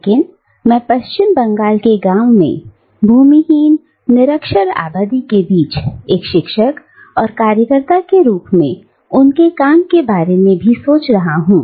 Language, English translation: Hindi, But I am also thinking about her work as a teacher and activist among the landless illiterate population in the villages of West Bengal